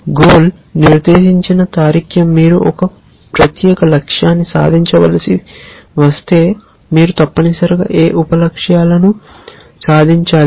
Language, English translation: Telugu, Goal directed reasoning says that if you have to achieve a certain goal, what sub goals should I achieve essentially